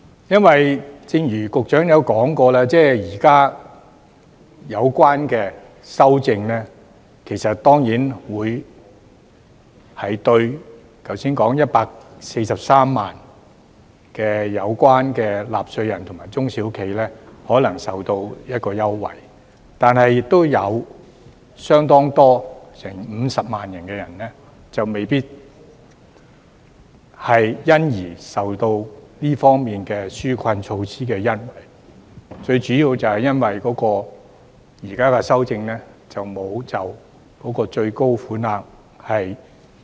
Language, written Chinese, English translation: Cantonese, 因為，正如局長也說過，現時的有關修訂令剛才提到的143萬名納稅人及中小企可能受惠，但亦有多達50萬人未必可以獲得紓困措施的恩惠，主要就是由於現行修訂並沒有提升最高款額。, It is because as the Secretary has also said the current amendment may benefit the earlier mentioned 1.43 million taxpayers and small and medium enterprises SMEs but as many as 500 000 people may not be able to benefit from the relief measure . The main reason is simply that the ceiling has not been raised under the current amendment